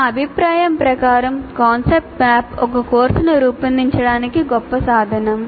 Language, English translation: Telugu, In my personal opinion, concept map is a great thing to create for a course